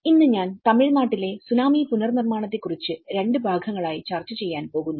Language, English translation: Malayalam, Today, I am going to discuss about Tsunami Reconstruction in Tamil Nadu in two parts